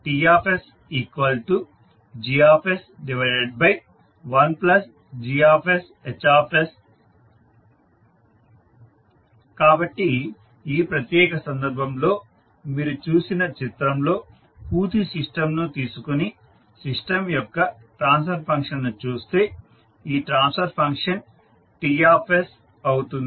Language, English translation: Telugu, So the figure which you saw in this particular case, so if you take the complete system and see the transfer function of the system, this transfer function will become Ts